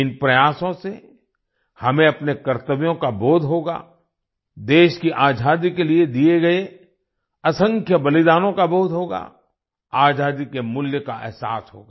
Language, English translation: Hindi, With these efforts, we will realize our duties… we will realize the innumerable sacrifices made for the freedom of the country; we will realize the value of freedom